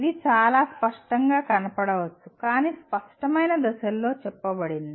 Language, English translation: Telugu, What it says, it may look pretty obvious but stated in a, in clear steps